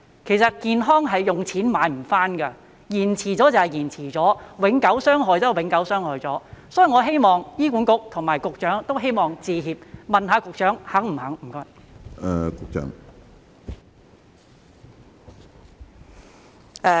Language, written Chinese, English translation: Cantonese, 其實健康是用錢買不到的，延遲醫治便是延遲了，永久傷害便是永久傷害了，所以我希望醫管局和局長都會道歉，請問局長是否願意這樣做？, In fact health cannot be bought with money delayed treatment is delayed and permanent damage is permanent damage . Therefore I hope both HA and the Secretary will make an apology . Is the Secretary willing to do so?